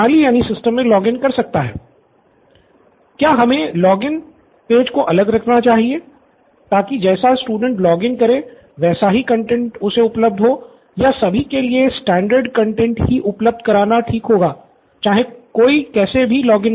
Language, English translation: Hindi, Or should the login page be separate so that based on how the student logs in the content would be available for him or would it be standard content available for all irrespective of login